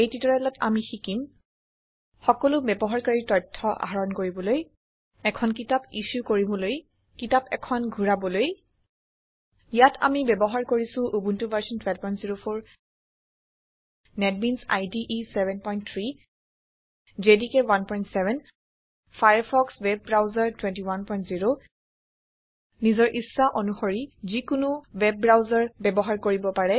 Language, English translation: Assamese, In this tutorial, we will learn how to#160: Fetch all the user details To Issue a book To return a book Here we are using Ubuntu Version 12.04 Netbeans IDE 7.3 JDK 1.7 Firefox web browser 21.0 You can use any web browser of your choice